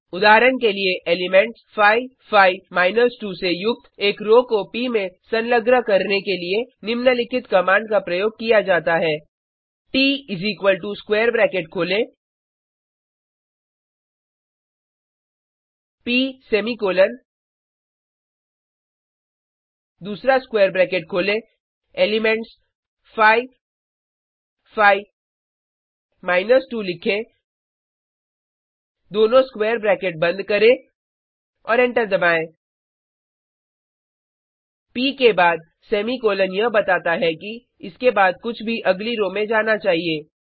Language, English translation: Hindi, For example, to append a row containing the elements [5 5 2] to P, the following command is used: T = open square bracket P semicolon, open another square bracket write down the elements 5 5 2 close both the square bracket and press enter The semicolon after P states that anything after it should go to the next row